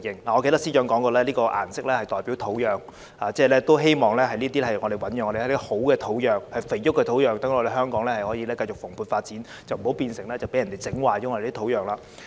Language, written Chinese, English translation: Cantonese, 我記得司長曾經表示這個顏色代表土壤，希望能夠醞釀一些良好的土壤、肥沃的土壤，讓香港可以繼續蓬勃發展，不要被人破壞我們的土壤。, I recall that the Financial Secretary had said that this colour stands for our land and he hoped to provide good fertile soil for Hong Kong to thrive continuously . We must not allow our land to be ruined